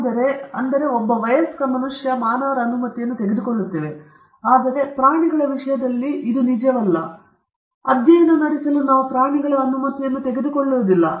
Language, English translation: Kannada, We take the permission of the human being, an adult human being, but in the case of animals this is not the case; we do not take the permission of animals to conduct study upon them